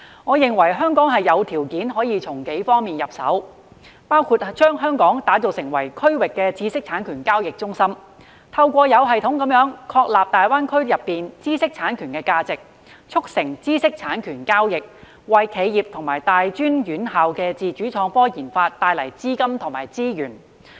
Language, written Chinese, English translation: Cantonese, 我認為香港有條件從幾方面入手，包括將香港打造成為區域知識產權交易中心，透過有系統地確立大灣區內的知識產權價值，促成知識產權交易，為企業及大專院校的自主創科研發帶來資金和資源。, I think that Hong Kong has the conditions to work on several aspects including transforming Hong Kong into a regional trading centre of intellectual property IP and systematically establishing IP value in GBA to facilitate IP transactions thereby bringing capital and resources for the research and development of independent innovation of enterprises and tertiary institutions